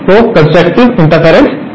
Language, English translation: Hindi, So, constructive interference